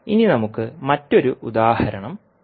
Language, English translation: Malayalam, Now, let us take another example